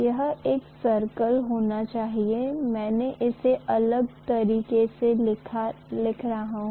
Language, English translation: Hindi, It should be a circle; of course I am showing it in different way